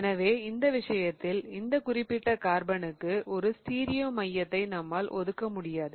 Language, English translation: Tamil, So, in which case we really cannot assign a stereo center to that particular carbon